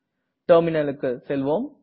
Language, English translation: Tamil, Let us go to the Terminal now